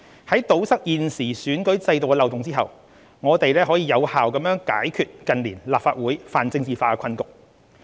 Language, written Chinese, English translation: Cantonese, 在堵塞現時選舉制度的漏洞後，我們可有效解決近年立法會泛政治化的困局。, Once the loophole in our current electoral system is plugged we can effectively resolve the predicament of over - politicization as seen in the Legislative Council in recent years